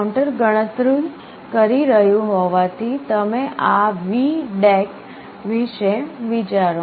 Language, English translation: Gujarati, As the counter is counting up you think of this VDAC